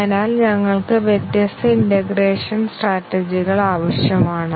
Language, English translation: Malayalam, So, we need different integration strategies